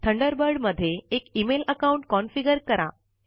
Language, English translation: Marathi, Configure an email account in Thunderbird